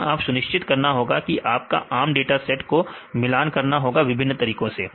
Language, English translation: Hindi, So, you have to make sure that your some common data set to compare with the different methods